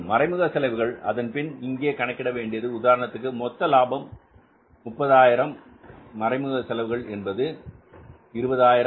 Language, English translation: Tamil, All indirect expenses and then finally you will arrive here at, say, for example, this is the total income gross profit of 30,000s, all indirect expenses are say 20,000s